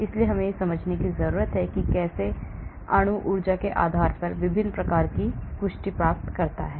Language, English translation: Hindi, so we need to understand how to model that and how molecules attain different types of confirmation based on the energies